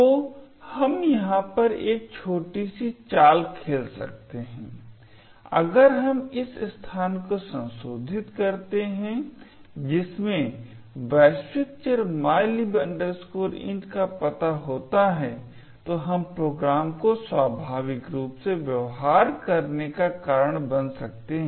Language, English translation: Hindi, So, we can actually play a small trick over here, if we modify this particular location which contains the address of the global variable mylib int, we can actually cost the program to behave spuriously